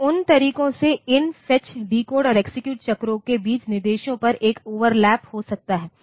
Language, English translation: Hindi, So, those ways there can be an overlap between these fetch, decode and execute cycles over the instructions